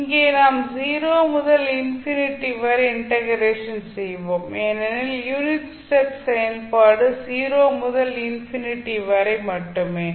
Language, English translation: Tamil, Here also we will integrate between 0 to infinity because the unit step function is 1 only from 0 to infinity